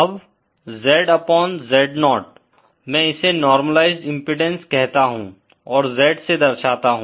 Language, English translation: Hindi, Now Z upon Z0, I call this the normalised impedance and represented by z